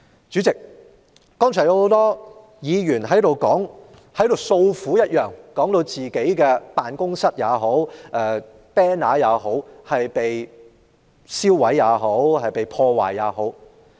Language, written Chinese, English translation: Cantonese, 主席，剛才很多議員訴苦，說自己的辦事處或橫額被人燒毀或破壞。, President just now a lot of Members complained about their offices or banners being burnt or damaged